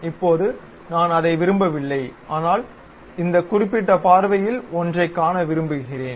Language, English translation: Tamil, Now, I do not want that, but I would like to see one of this particular view